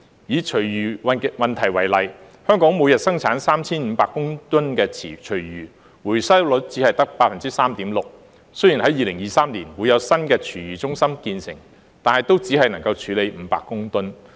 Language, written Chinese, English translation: Cantonese, 以廚餘問題為例，香港每天產生 3,500 公噸的廚餘，回收率只得 3.6%， 雖然2023年會有新的廚餘中心建成，但都只能處理500公噸。, Take the issue of food waste as an example . In Hong Kong 3 500 tonnes of food waste are generated every day while the recovery rate is only 3.6 % . Although a new food waste treatment centre will be completed in 2023 its capacity is only 500 tonnes